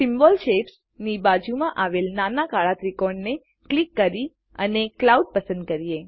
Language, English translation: Gujarati, Click on the small black triangle next to Symbol Shapes and select the Cloud